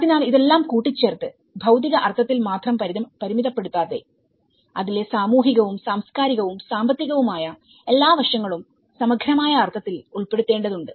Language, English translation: Malayalam, So, all this putting together, apart from only limiting to the physical sense, we need to embed all the social and cultural and economic aspects sent to it in a holistic sense